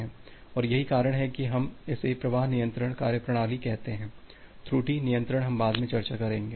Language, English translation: Hindi, And that is the reason we say that flow control mechanism, the error control we will discuss later on